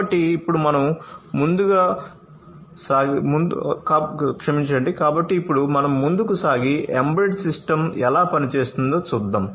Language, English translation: Telugu, So, now let us move forward and see how an embedded system works